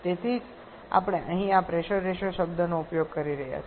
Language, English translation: Gujarati, That is why we are using this pressure ratio term here